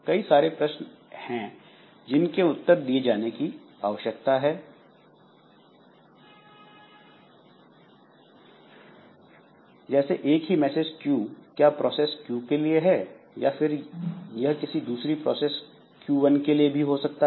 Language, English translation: Hindi, So, many things to be answered or maybe the same message Q it feeds not only Q but also another process Q1